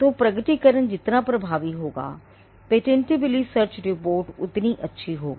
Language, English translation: Hindi, Will result in how good the patentability search report will eventually be